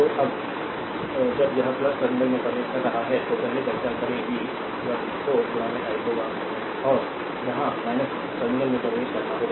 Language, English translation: Hindi, So, when it is entering plus terminal earlier we have discuss, v 1 will be 4 into i and here entering the minus terminal